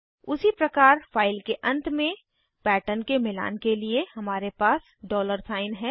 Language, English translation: Hindi, Similarly to match a pattern at the end of the file, we have the dollar sign